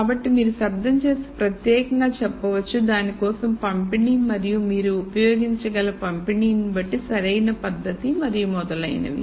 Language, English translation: Telugu, So, you could say if the noise you could you could attribute a particular distribution for that and depending on the distribution you could use the correct technique and so on